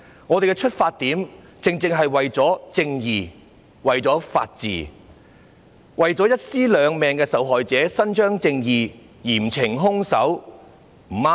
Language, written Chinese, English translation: Cantonese, 我們的出發點，正正是為了正義、為了法治、為了一屍兩命案件的受害者伸張正義，嚴懲兇手，不對嗎？, Our original intention was to see justice and the rule of law prevail and to see justice done to the murder victim who was a pregnant woman in this case and the culprit punished severely so is there anything wrong with this?